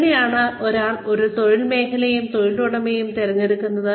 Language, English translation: Malayalam, How does one select a field of employment, and an employer